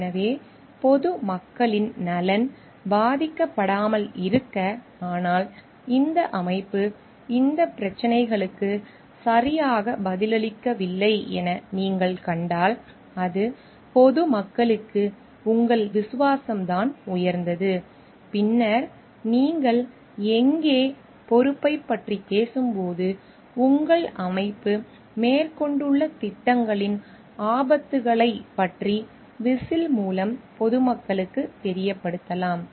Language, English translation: Tamil, So, that the interest of the public at large is not jeopardized, but if you find like the organization is not like answering to these issues properly, then it is your loyalty to the public at large which is supreme and then, that is where you may come for whistleblowing and making to know the public about the dangers of the may be project that your organization has undertaken when you talk about responsibility